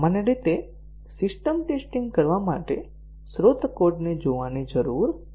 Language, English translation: Gujarati, Normally, do not have to look through the source code to carry out system testing